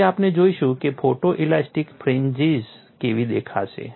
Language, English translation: Gujarati, So, we would see how photo elastic fringes will look like